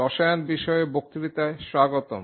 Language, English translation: Bengali, Welcome to the lectures on chemistry